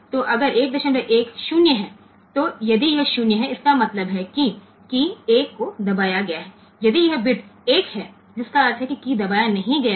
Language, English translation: Hindi, 1 is 0 so, if this is sorry if this is 0; that means, the key 1 has been pressed if this bit is 1 that means, the key is not pressed